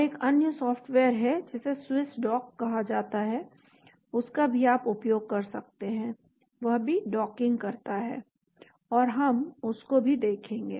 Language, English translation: Hindi, And there is another software which is called a Swiss Dock you can use that also, that also does docking and we will look at that as well,